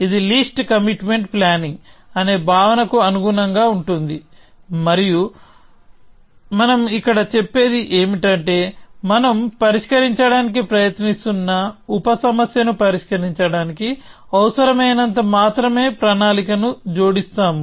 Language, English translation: Telugu, This is in keeping with this notion of least commitment planning, and what we are saying here is that we will add only as much to the plan as it is necessary for solving the sub problem we are trying to solve